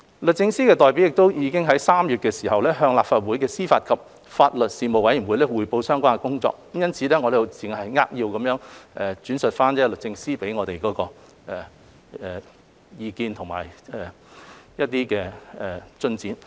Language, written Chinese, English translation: Cantonese, 律政司代表亦已在3月向立法會司法及法律事務委員會匯報相關工作，因此，我只會扼要轉述律政司給我們的意見和有關進展。, Given that the representatives of DoJ have also briefed the Panel on Administration of Justice and Legal Services of the Legislative Council on the relevant work in March I will only summarize the views given together with the relevant progress reported to us by DoJ